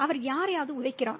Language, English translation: Tamil, He kicks somebody